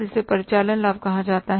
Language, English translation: Hindi, This is called as operating profit